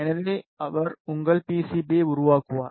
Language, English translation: Tamil, So, he will fabricate your PCB